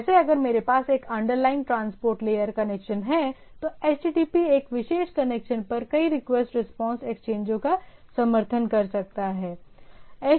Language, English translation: Hindi, Like if I have a underlying one transport layer connection, HTTP can support multiple request respond exchanges over a particular connection